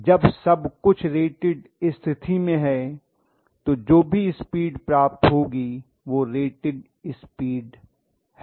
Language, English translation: Hindi, So everything is at rated condition at that point whatever is the speed that is being achieved is rated speed